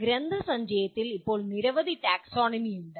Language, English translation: Malayalam, Now there are several taxonomies that exist in the literature